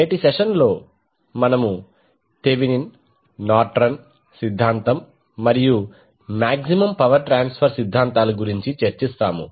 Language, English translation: Telugu, So in today’s session we will discuss about Thevenin’s, Nortons theorem and Maximum power transfer theorem